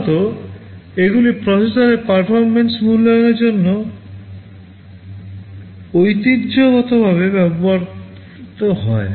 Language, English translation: Bengali, Normally, these are traditionally used for evaluating processor performances